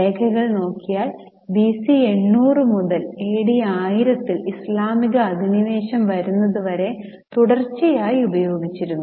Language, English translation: Malayalam, Now the records are available around 800 BC and from there more or less continuously it was used until the advent of Islamic invasion in 180